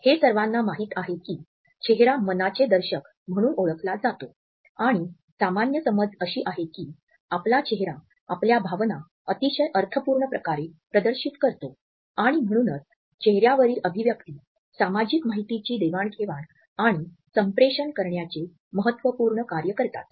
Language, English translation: Marathi, It is popularly known as an index of mind and normal perception is that our face displays our emotions, our feelings in a very expressive manner and therefore, our facial expressions serve a very significant social function of passing on exchanging and communicating social information